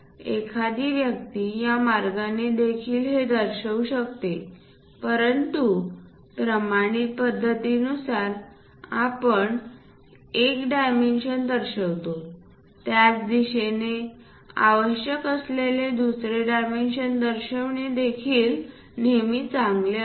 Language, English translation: Marathi, One can also show it in this way, but the standard practices because anyway we are showing one of the dimension, it is always good to show the other dimension required also in the same direction